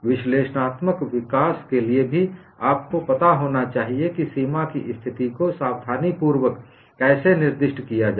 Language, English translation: Hindi, Even for analytical development, you should know how to specify the boundary condition carefully and we would look at that